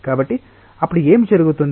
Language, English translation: Telugu, So, then what will happen